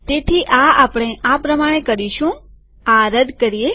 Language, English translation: Gujarati, So we will do this as follows